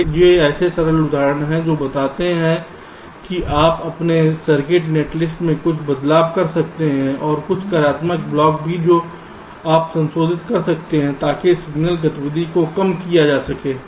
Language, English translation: Hindi, so these are some simple examples which show that you can make some changes in your circuit, netlist and also some functional blocks you can modify so as to reduce the signal activities, right